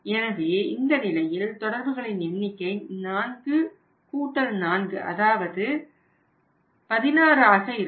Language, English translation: Tamil, So, in this case number of the contacts will be 4 + 4 that is 8